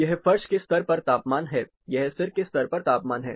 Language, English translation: Hindi, This is the temperature at the floor level; this is the temperature at the head level